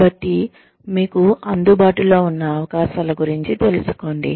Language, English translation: Telugu, So, be aware of the opportunities, available to you